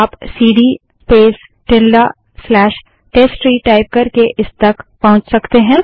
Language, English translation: Hindi, You can move to it by typing cd space ~ slash testtree